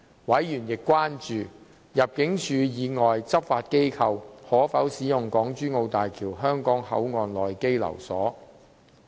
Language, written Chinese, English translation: Cantonese, 委員亦關注入境處以外執法機構可否使用港珠澳大橋香港口岸區內的羈留所。, Members were also concerned about whether law enforcement agencies other than ImmD could use the detention quarters at HZMB HKP